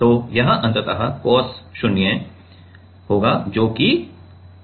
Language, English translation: Hindi, So, it will be ultimately cos 0 that is 1